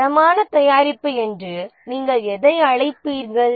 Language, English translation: Tamil, Which one would you call as a quality product